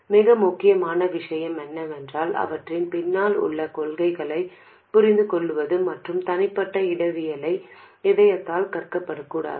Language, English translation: Tamil, What is more important is to understand the principles behind them and not learn individual topologies by heart